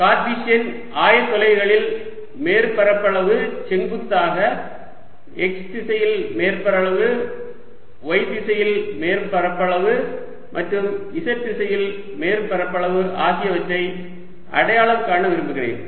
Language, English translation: Tamil, so in cartesian coordinates i want to identify surface area perpendicular: surface area in x direction, surface area in y direction and surface area in z direction